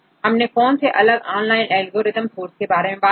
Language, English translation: Hindi, So, what are different algorithms we discuss online sources